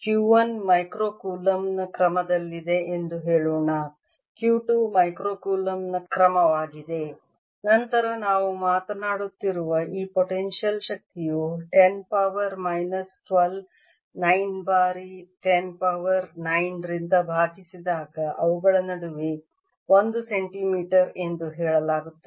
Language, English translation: Kannada, q two is of the order of micro colomb, then this potential energy we are talking (refer time 0four:00) about, let me, will be of the order of ten days, two minus twelve times nine times ten raise to nine, divided by the distance is, say, one centimeter between them